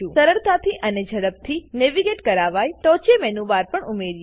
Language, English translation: Gujarati, Lets also have a menu bar on top for easy and quick navigation